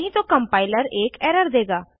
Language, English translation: Hindi, Otherwise the compiler will give an error